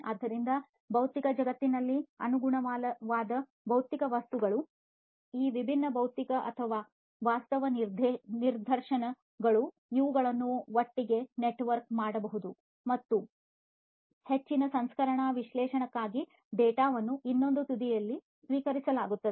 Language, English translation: Kannada, So, these different physical or virtual instances of the corresponding physical objects in the physical world, these could be networked together and the data would be received at the other end for further processing analysis and so on for making the industry smarter